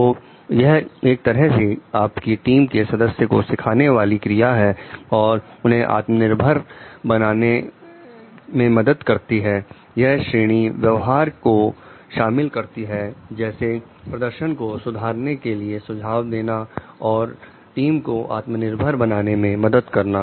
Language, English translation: Hindi, So, it is an act of educating your team members and help them to become self reliant, this category include behaviors such as making suggestions about performance improvements and helping the team to be self reliant